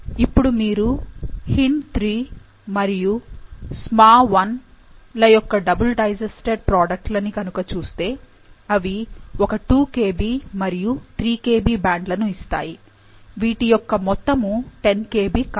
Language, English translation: Telugu, Now, if you look at the double digested products of HindIII and SmaI, they yield a 2 Kb and 3 Kb band which is, the total of which is not 10 Kb